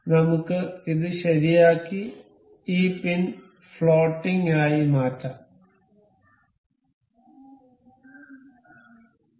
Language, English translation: Malayalam, Let us fix this one and make this pin as floating, right